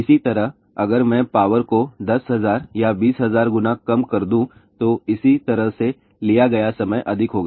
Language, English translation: Hindi, Similarly, if I reduce the power by 10000 or 20000 times, similarly the time taken will be more